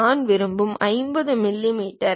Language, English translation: Tamil, What I would like to have is 50 millimeters I would like to have